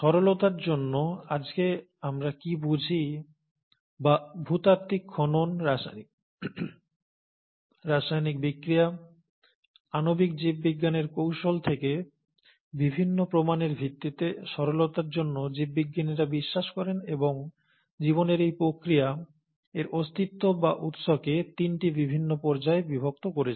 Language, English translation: Bengali, So, for simplicity, what we understand today or rather, based on the various evidences that we have from geological excavations, from chemical reactions, from molecular biology techniques, for simplicity's sake the biologists believe and have divided this very process of life and it's existence or origin into three different phases